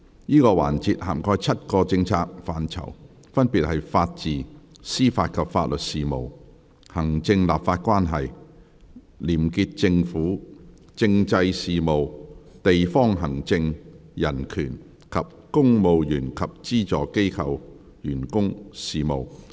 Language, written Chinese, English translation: Cantonese, 這個環節涵蓋7個政策範疇，分別是：法治、司法及法律事務；行政立法關係；廉潔政府；政制事務；地方行政；人權；及公務員及資助機構員工事務。, This session covers the following seven policy areas Rule of Law Administration of Justice and Legal Services; Executive - Legislative Relationship; Clean Government; Constitutional Affairs; District Administration; Human Rights; and Public Service